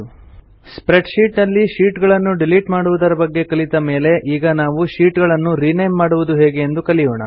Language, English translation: Kannada, After learning about how to delete sheets in Calc, we will now learn how to rename sheets in a spreadsheet